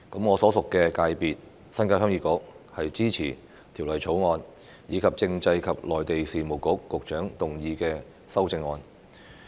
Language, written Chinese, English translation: Cantonese, 我所屬界別鄉議局支持《條例草案》，以及政制及內地事務局局長動議的修正案。, Heung Yee Kuk the constituency to which I belong supports the Bill and the amendments to be moved by the Secretary for Constitutional and Mainland Affairs